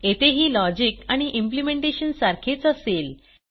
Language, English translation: Marathi, Here also the logic and implementation are same